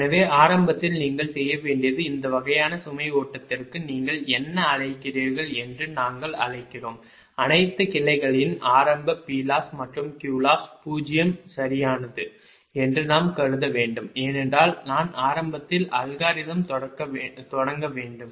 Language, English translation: Tamil, so initially what you have to do is for this kind of load flow that we have to your what you call, we have to assume that initial p loss and q loss of all the branches are zero, right, because i have, initially you have to start the algorithm